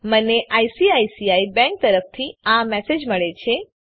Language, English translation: Gujarati, I get the following messsage from ICICI bank